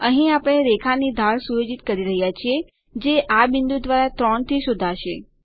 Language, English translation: Gujarati, Here we are setting the slope of the line that will be traced by this point to 3